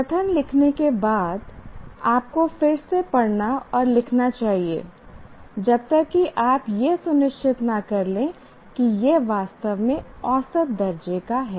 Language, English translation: Hindi, After you write the statement, you should read and rewrite and rewrite until you make sure it is actually measurable